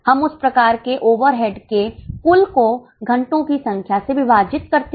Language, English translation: Hindi, We take the total for that type of overhead divided by number of hours